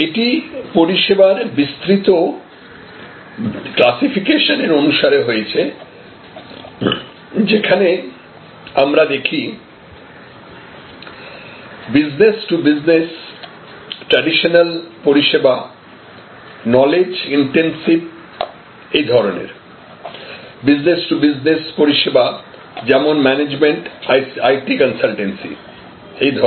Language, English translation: Bengali, It is in conformity with this broader classification of services, where we see business to business services traditional, knowledge intensive business services business to business services, these are like management consultancy, IT consultancy, etc